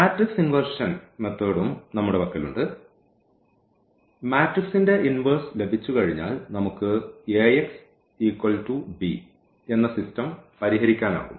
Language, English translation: Malayalam, We have also the matrix inversion method where this Ax is equal to b this system we can solve once we have the inverse of the matrix